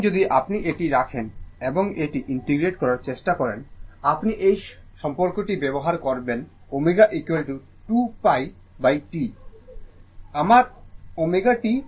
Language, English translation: Bengali, And if you put it, and try to integrate it integrate it, you will use this relationship omega is equal to 2 pi by T that means, my omega T will be is equal to 2 pi right